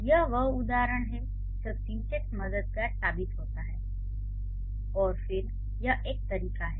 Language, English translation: Hindi, So that's the instance when syntax proves to be helpful